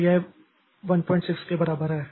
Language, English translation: Hindi, So, this is equal to 1